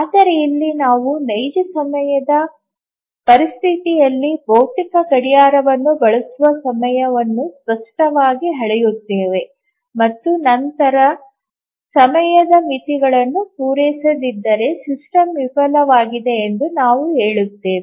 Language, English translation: Kannada, But then here we measure the time explicitly using a physical clock in a real time situation and then if the time bounds are not met, we say that the system has failed